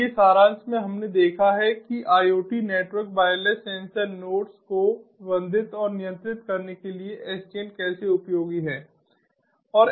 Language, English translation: Hindi, so in summary, we have looked at how sdn is useful to manage and control the iot network